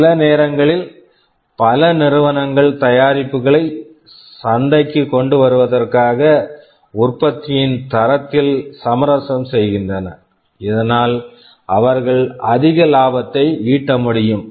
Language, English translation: Tamil, Sometimes many companies compromise on the quality of product in order to bring the product to the market earlier, so that they can reap greater profit out of it